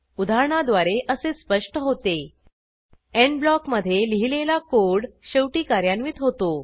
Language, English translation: Marathi, From the example, it is evident that The code written inside the END blocks get executed at the end